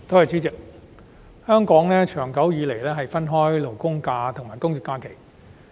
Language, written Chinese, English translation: Cantonese, 主席，香港長久以來分開法定假日和公眾假期。, President holidays in Hong Kong have long been categorized into statutory holidays SHs and general holidays GHs